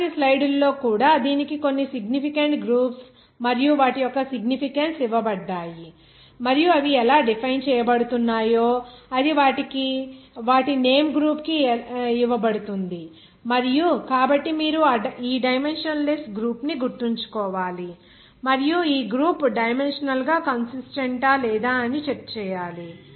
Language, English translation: Telugu, Even in the next slide also it is given some significant groups and their respective significance and how they are defined it is given their name group and so you have to remember this dimensionless group you check this group with their dimensionally consistent or not